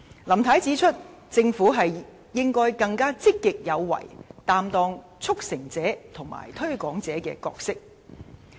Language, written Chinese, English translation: Cantonese, 林太指出，政府應該更積極有為，擔當"促成者"及"推廣者"的角色。, She said that the Government should be more proactive and play the role of a facilitator and a promoter